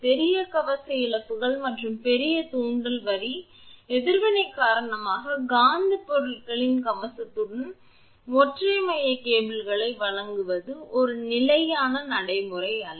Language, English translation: Tamil, It is not a standard practice to provide single core cables with armor of magnetic materials because of large armor losses and larger inductive line reactance